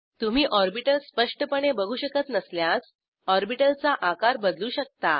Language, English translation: Marathi, In case you are not able to view the orbital clearly, you can resize the orbital